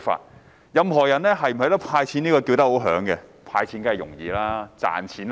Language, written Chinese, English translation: Cantonese, 所有人均大聲要求"派錢"，但"派錢"容易、賺錢難。, Everyone is calling for the distribution of cash handouts . It is easy to give handouts but hard to make money